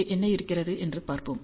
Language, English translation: Tamil, And let us see what we have here